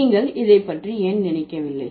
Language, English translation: Tamil, Why don't you think about it